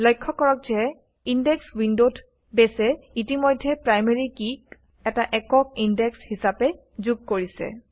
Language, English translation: Assamese, In the Indexes window, notice that Base already has included the Primary Key as a unique Index